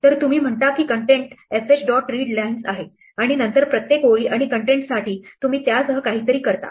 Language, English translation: Marathi, So, you say content is fh dot readlines and then for each line and contents you do something with it